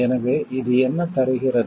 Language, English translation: Tamil, So, what this gives